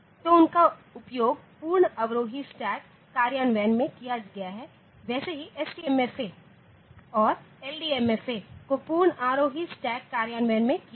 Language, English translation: Hindi, So, they are used for implementing a full descending stack similarly STMFA and LDMFA full ascending stack implementation